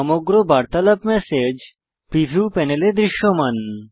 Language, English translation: Bengali, The entire conversation is visible in the message preview panel